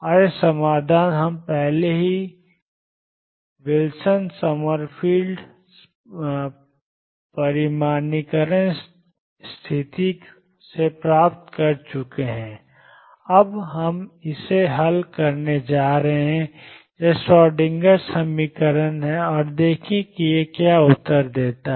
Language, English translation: Hindi, And this solution we have already obtain earlier from Wilson Summerfield quantization condition now we are going to solve it is Schrödinger equation and see what answer it gives